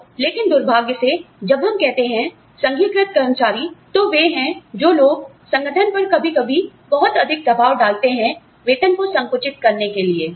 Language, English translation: Hindi, So, but unfortunately, when we say, unionized employees, they are sometimes, the people, who put a lot more pressure on the organization, to compress the salaries